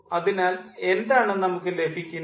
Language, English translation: Malayalam, so what we are getting